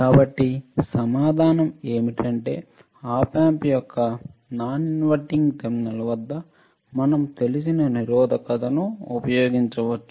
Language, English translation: Telugu, So, what is the answer is that we can use a non resistor at the non inverting terminal of the op amp